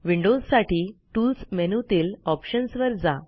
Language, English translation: Marathi, windows users should click on Tools and Options